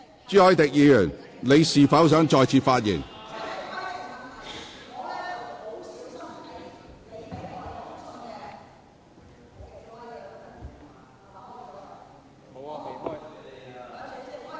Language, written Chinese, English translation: Cantonese, 朱凱廸議員，你是否想再次發言？, Mr CHU Hoi - dick do you wish to speak again?